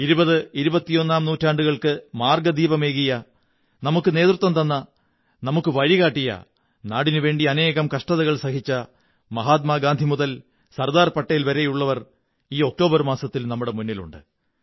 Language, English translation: Malayalam, From Mahatma Gandhi to Sardar Patel, there are many great leaders who gave us the direction towards the 20th and 21st century, led us, guided us and faced so many hardships for the country